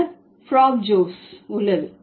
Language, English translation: Tamil, Then there is Frabges